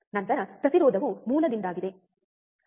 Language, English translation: Kannada, Then the resistance is because of the source